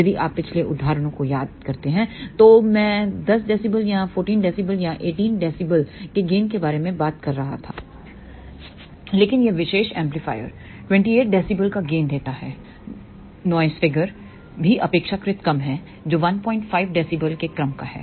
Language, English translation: Hindi, If you recall the previous examples I was talking about gain of 10 dB or 14 dB or 18 dB, but this particular amplifier gives a gain of 28 dB noise figure is also relatively low which is of the order of 1